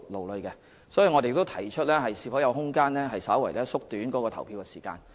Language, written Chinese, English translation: Cantonese, 有鑒於此，我們曾建議探討是否有空間稍為縮短投票時間。, In view of this we had proposed exploring whether there was room to slightly shorten the polling hours